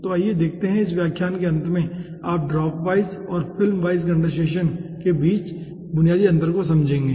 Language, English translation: Hindi, at the end of this lecture you will be understanding basic difference between dropwise and film condensation